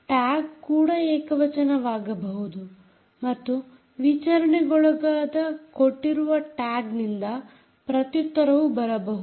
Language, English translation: Kannada, the tag can be singulated and the reply can come from a given tag which is being interrogated